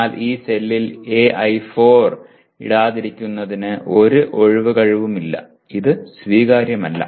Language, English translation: Malayalam, But there is no excuse for not putting AI4, some of the AI4 in this cell; in this, this is not acceptable